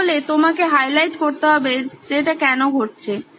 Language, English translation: Bengali, So you have to highlight why is this happening